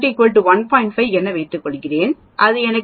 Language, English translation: Tamil, 5 I get 0